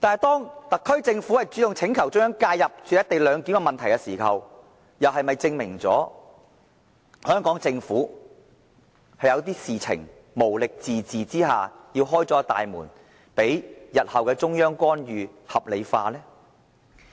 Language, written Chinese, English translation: Cantonese, 當特區政府主動要求政府介入"一地兩檢"的問題時，是否證明了香港政府在某些事情上無力自治，要打開大門，將日後中央的干預合理化？, When the SAR Government request for the Central Governments intervention into the co - location arrangement does the act per se shows that the Hong Kong Government has failed to administer self - rule over certain affairs and hence must throw its door open paving way to help justify the intervention from the Central Authorities in future?